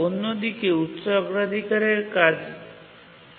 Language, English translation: Bengali, So, the high priority task keeps on waiting